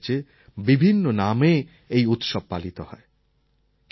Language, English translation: Bengali, It is celebrated in different states in different forms